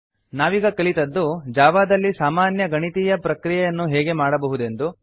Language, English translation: Kannada, we have learnt How to perform basic mathematical operations in Java